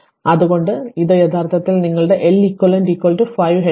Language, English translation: Malayalam, So, that is why and this is actually your L eq is equal to this 5 Henry right